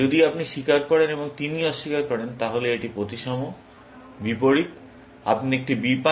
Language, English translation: Bengali, If you confess and he denies, then it is symmetrically, opposite; you get an B and gets an F